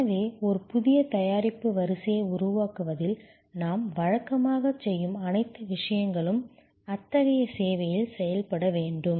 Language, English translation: Tamil, And therefore, all the things that we normally do in creating a new production line, will need to be done in such a service